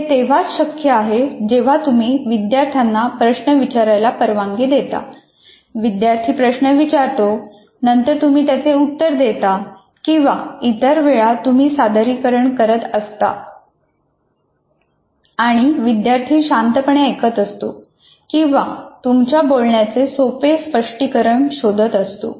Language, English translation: Marathi, These conversations would mean if you allow students to ask you questions, student will ask a question, then you answer, or other times you are presenting and the student is listening or possibly seeking clarifications